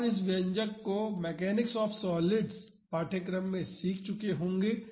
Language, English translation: Hindi, You would have learned this expressions in the mechanics of solids course